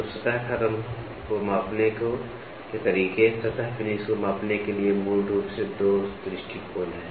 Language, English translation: Hindi, So, methods of measuring a surface finish, there are basically two approaches for measuring surface finish